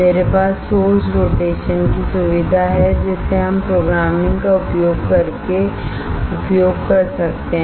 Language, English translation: Hindi, I have the source rotation facility which is which we can use using Programming